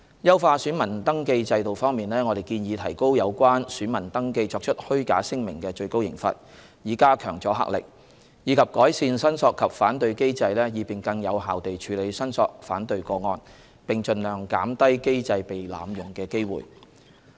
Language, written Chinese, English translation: Cantonese, 優化選民登記制度方面，我們建議提高有關選民登記作出虛假聲明的最高刑罰，以加強阻嚇力，以及改善申索及反對機制，以便更有效地處理申索/反對個案，並盡量減低機制被濫用的機會。, With regard to enhancing the voter registration system we proposed to increase the maximum penalties for making false statements in voter registration in order to enhance the deterrent effect; and improve the claim and objection mechanism so as to handle claim and objection cases more effectively and minimize abuse of the mechanism